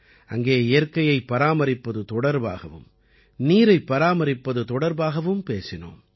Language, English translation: Tamil, At the same time, I had a discussion with them to save nature and water